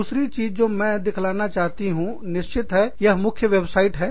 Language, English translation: Hindi, The other thing, that i want to show you, of course, you know, that is the main website